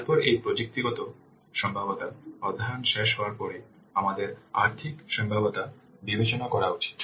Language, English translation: Bengali, Then after this technical feasibility study is over we should cover we should we should consider the financial feasibility